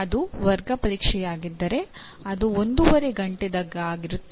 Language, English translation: Kannada, If it is class test, it is one and a half hours